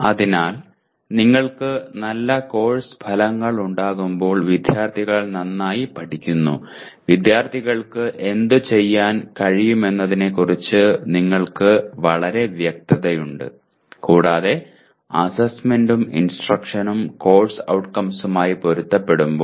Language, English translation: Malayalam, So students learn well when you have good course outcomes that you are very clear about what the students should be able to do and when assessment and instruction are in alignment with the, our course outcomes, okay